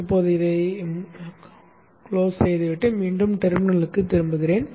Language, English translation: Tamil, Again go to the desktop and open a terminal